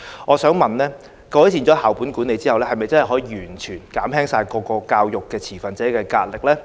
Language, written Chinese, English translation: Cantonese, 我想問，改善校本管理後，是否真的可以完全減輕各個教育持份者的壓力呢？, But can an improved school - based management effectively relieve the pressure of all education stakeholders?